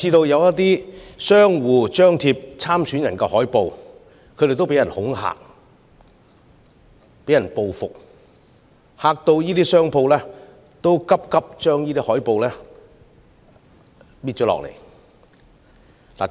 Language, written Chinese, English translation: Cantonese, 有張貼參選人海報的商戶更被人恐嚇和報復，令商戶人心惶惶，紛紛把海報移除。, Some shop owners who displayed posters of these candidates have even faced intimidation and retaliation and they have become so terrified that they all hasten to remove their posters